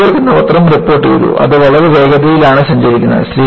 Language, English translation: Malayalam, And, the newspaper “New York” reported, it is traveling at such a terrific speed